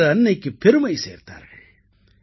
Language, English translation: Tamil, They enhanced Mother India's pride